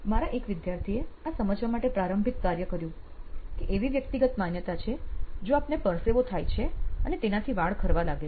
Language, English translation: Gujarati, One of my students did do the ground work on figuring this out that there is a personal perception associated with the fact that if you sweat and that leads to hair loss